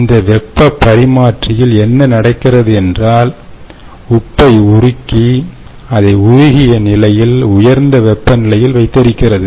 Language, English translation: Tamil, ok, in this heat exchanger what happens is, during daytime, this salt goes through and is melt and stored in a hot is in a molten state at a high temperature